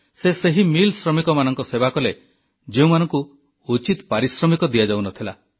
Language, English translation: Odia, He served millworkers who were being underpaid